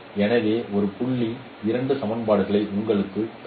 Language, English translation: Tamil, So from there we can get this equation